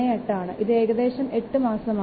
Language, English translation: Malayalam, 38, so which will give you 8